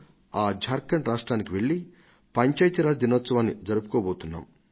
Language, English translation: Telugu, In Jharkhand I am going to celebrate Panchayati Raj Divas